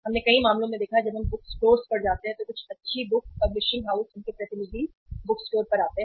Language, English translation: Hindi, We have seen in many cases when we visit the bookstores some good book uh publishing houses their representative come to the bookstore